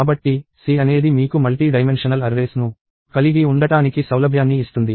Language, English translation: Telugu, So, C gives you flexibility to have arrays of multiple dimensions